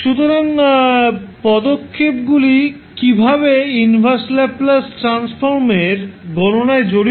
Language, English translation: Bengali, So, what are the steps are involved in the computation of inverse Laplace transform